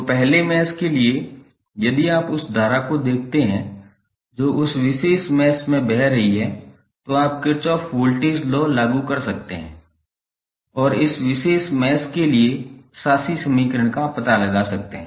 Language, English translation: Hindi, So, for first mesh if you see the current which is flowing in this particular mesh you can apply Kirchhoff Voltage Law and find out the governing equation of this particular mesh